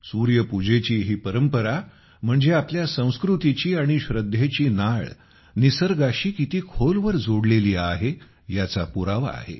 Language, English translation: Marathi, Friends, the tradition of worshiping the Sun is a proof of how deep our culture, our faith, is related to nature